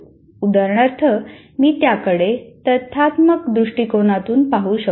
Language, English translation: Marathi, For example, I can look at it from factual perspective